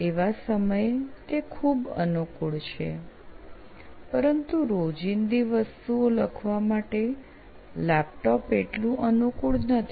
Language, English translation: Gujarati, So that is very convenient that time but laptop is not that convenient for writing everyday thing